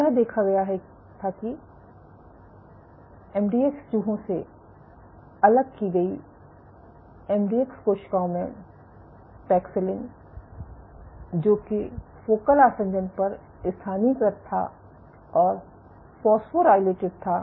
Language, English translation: Hindi, So, what was observed was in MDX cells in cells isolated from MDX mice paxillin localized at focal adhesion was phosphorylated